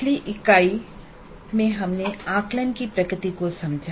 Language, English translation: Hindi, In the last unit we understood the nature of assessment